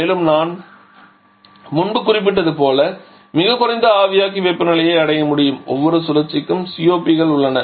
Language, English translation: Tamil, Also it is possible to reach very low evaporator temperatures as I mentioned earlier each of the cycles has their own COP's